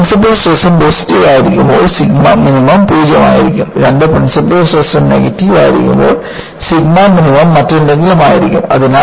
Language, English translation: Malayalam, When both the principal stresses are positive, sigma minimum will be 0; when both the principal stresses are negative, then sigma minimum will be something else